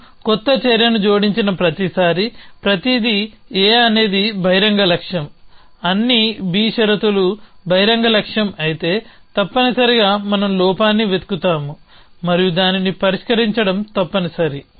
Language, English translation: Telugu, So, everything A is an open goal every time we added new action all is B conditions are open goal essentially then we look for of flaw and resolve it is essentially